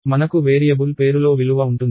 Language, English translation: Telugu, So, you have variable name equals value